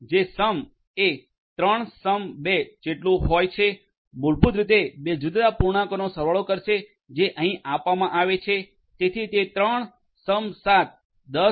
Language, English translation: Gujarati, So, the basic math functions are supported sum equal to 3 +7 will basically do the sum of two different integers which are given over here so 3+7; 10